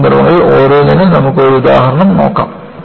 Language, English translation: Malayalam, And, let us see an example, for each of these cases